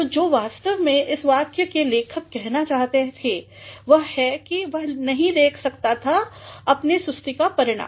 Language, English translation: Hindi, So, what actually the writer of this sentence wanted to say was that ‘He could not foresee the result of his lethargy